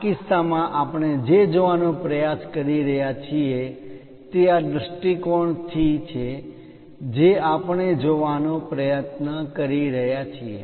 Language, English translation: Gujarati, In this case, what we are trying to look at is from this view we are trying to look at